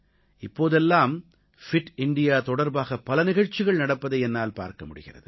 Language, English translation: Tamil, By the way, these days, I see that many events pertaining to 'Fit India' are being organised